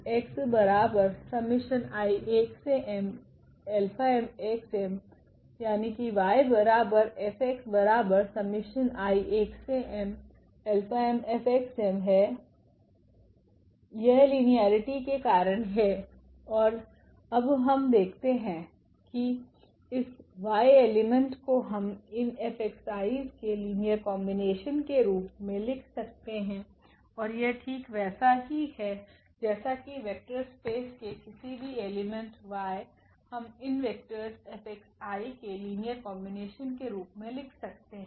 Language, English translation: Hindi, So, this is because of the linearity and now what we see that this y element we have written as a linear combination of this x F x m and this is exactly that any element y in the vector space y we can write as a linear combination of these vectors F x i’s